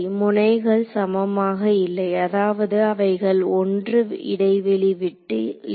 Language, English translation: Tamil, No the nodes are not equispaced, I mean they are not spaced by 1